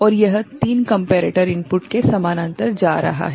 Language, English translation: Hindi, And this is going in parallel to 3 comparator inputs